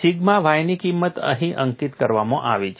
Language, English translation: Gujarati, The value of sigma y is plotted here